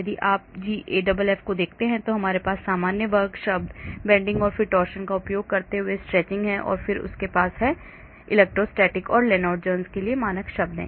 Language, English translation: Hindi, if you look at the GAFF, so we have the stretching, using the normal square term, bending and then torsion and then they have the standard term for electrostatic and Lennard Jones